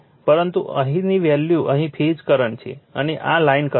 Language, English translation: Gujarati, But, here the value here the phase current is here, and this is line current